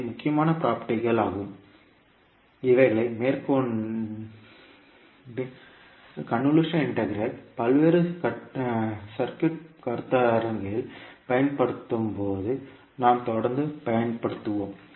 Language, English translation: Tamil, So these would be the major properties which we will keep on using when we use the convolution integral in the various circuit concepts